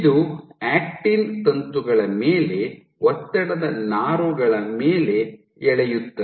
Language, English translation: Kannada, it exerts it pulls on stress fibers on actin filaments